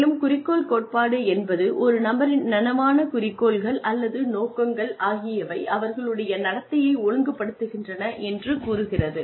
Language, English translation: Tamil, s conscious goals, or, it says that, an individual's conscious goals, or intentions, regulate his or her behavior